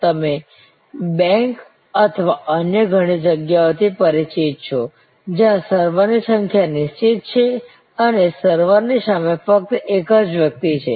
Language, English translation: Gujarati, You are familiar at banks or many other places, where there are fixed number of servers and there is only one person in front of the server